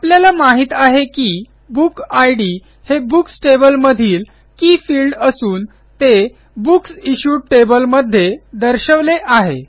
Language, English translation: Marathi, We also know that book id is the key field in the books table and is represented in the Books Issued table